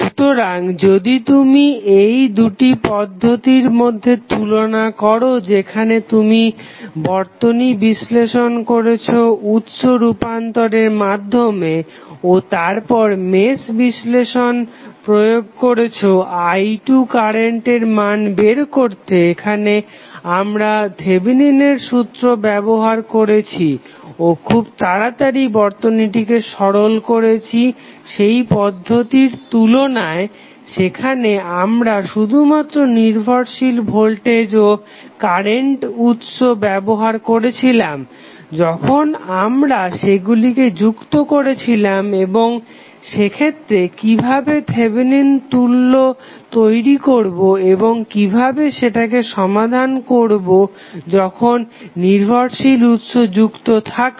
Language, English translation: Bengali, So, if you compare these two methods where you analyze the circuit with the help of source transformation and then you applied the mesh analysis method to find out the value of current i 2, here we used the Thevenin theorem and simplified the circuit very quickly as compare to the method where we were using the only the dependent voltage and current source when we connect them and how to create the Thevenin equivalent in that case and how to solve the circuit when we have dependent sources connected